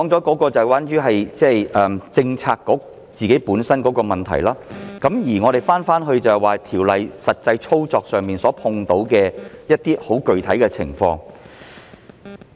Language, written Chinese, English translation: Cantonese, 我剛才提到政策局的自身問題，現在說回《條例草案》實際操作上遇到的具體情況。, I have just mentioned the Bureaus own problems . Now I come back to the specific circumstances that will be encountered when the Bill is put into practice